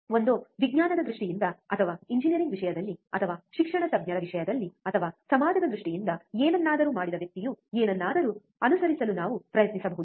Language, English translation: Kannada, Either in terms of science or in terms of engineering or in terms of academics, or in terms of society, anything a person who has done something on which we can also try to follow